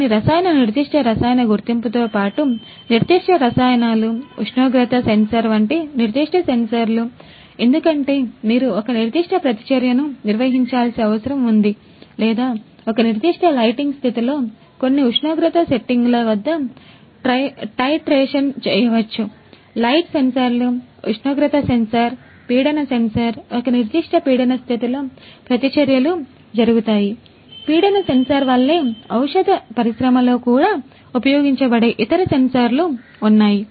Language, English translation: Telugu, In addition to certain chemical, specific chemical detection, specific chemicals, specific sensors other sensors such as temperature sensor, because you need to conduct a certain reaction or maybe a titration under certain temperature settings in a certain lighting condition;, light sensors, temperature sensor light sensor, pressure sensor in a certain pressure condition these reactions have to happen